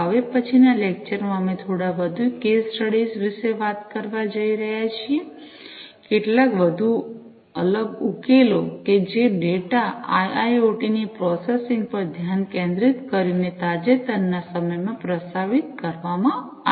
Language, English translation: Gujarati, In the next lecture, we are going to talk about a few more case studies, a few more different solutions that have been proposed in recent times focusing on IIoT processing of data